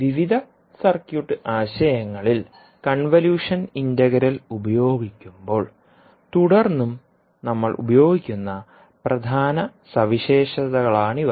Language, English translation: Malayalam, So these would be the major properties which we will keep on using when we use the convolution integral in the various circuit concepts